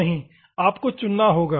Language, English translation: Hindi, No, you have to choose